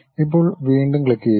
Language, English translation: Malayalam, Now, click again